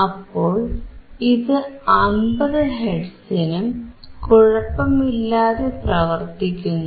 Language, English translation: Malayalam, So, it is working well for 50 hertz